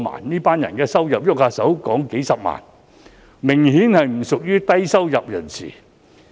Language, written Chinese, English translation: Cantonese, 這群人的收入動輒數十萬元，明顯不屬於低收入人士。, These people often earn hundreds of thousands of dollars so they are obviously not low - income earners . Let me cite another example